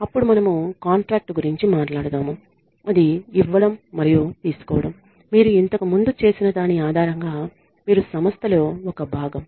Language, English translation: Telugu, Then we talk about contract it is a give and take, you are a part of the organization based on what you have done earlier